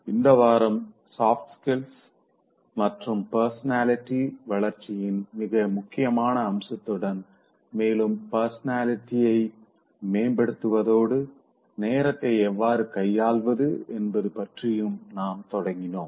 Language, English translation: Tamil, This week we started with a very important aspect of soft skills and personality development and enhancing the personality along with developing it